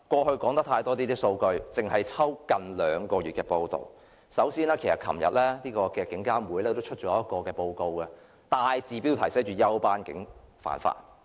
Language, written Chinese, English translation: Cantonese, 其實昨天獨立監察警方處理投訴委員會也發表了一個報告，報告大字標題寫着休班警員犯法。, In fact the Independent Police Complaints Council IPCC issued a report yesterday with off - duty police officers committing offences in the headline but of course its content was all about a little criticism a lot of help